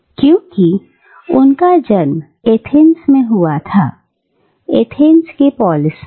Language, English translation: Hindi, Because, he was born in Athens, the polis of Athens